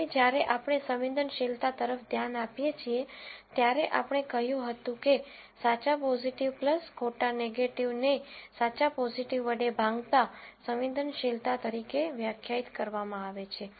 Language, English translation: Gujarati, Now, when we look at sensitivity, we said sensitivity is defined as true positive divided by true positive plus false negative